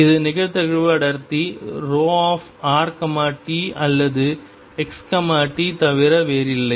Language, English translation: Tamil, This is nothing but the probability density rho r t or x t in this case